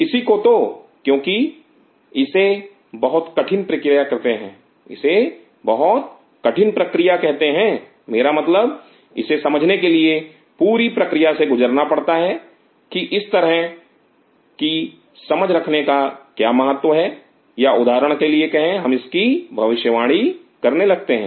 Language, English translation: Hindi, And one has to because it is said a very tough process I mean one has to go through that whole grill to understand that what is the significance of having these kinds of understanding or sat for example, we start predicting that